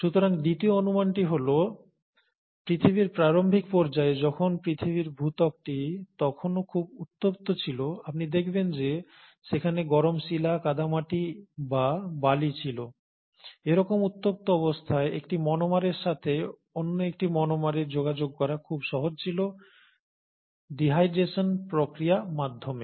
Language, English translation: Bengali, So the second hypothesis is that during the early phase of earth, when the earth’s crust was still very hot, you find that there were hot rocks, clay or sand, and under such hot conditions, it was very easy for one monomer to interact with another monomer, through the process of dehydration